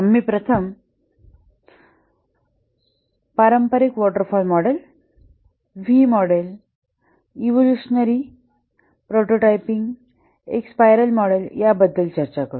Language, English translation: Marathi, We will first discuss about the traditional models, the waterfall V model evolutionary prototyping spiral model